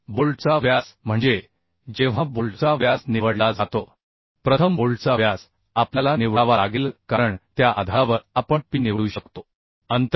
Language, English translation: Marathi, 1st, the diameter of bolts we have to select because on that basis we can select the p distance and h distance